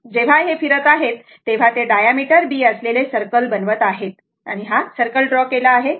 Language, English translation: Marathi, When it is revolving, it is making a diameter your B and this is a circle, circle is drawn, right